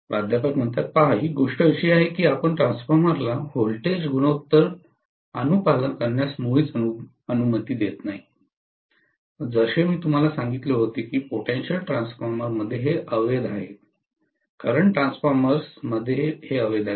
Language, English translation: Marathi, See, the thing is that you are really not allowing the transformer to follow the voltage ratio at all just like how I told you that in potential transformer this is invalid, in current transformer this is invalid